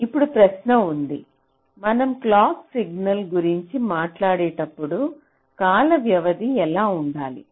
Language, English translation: Telugu, now the question is so, when we talk about the clock signal, so what should be the time period when the here a few things